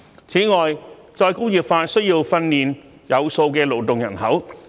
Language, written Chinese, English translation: Cantonese, 此外，再工業化需要訓練有素的勞動人口。, Moreover re - industrialization requires a well - trained labour force